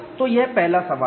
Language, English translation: Hindi, So, this is the first question